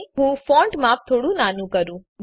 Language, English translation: Gujarati, Let me make the font size likely smaller